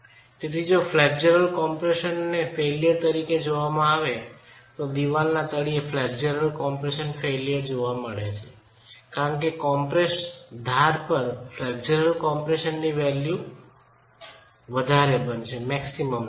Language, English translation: Gujarati, I would be interested to look at the flexual compression failure at the bottom of the wall because that is where the flexual compression value is going to be the maximum at the compressed edge